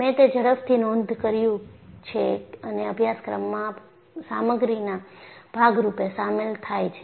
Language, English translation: Gujarati, And, I quickly got that recorded and included as part of the course material